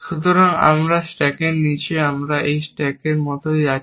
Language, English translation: Bengali, So, this is the bottom of my stack, and my stack is going like this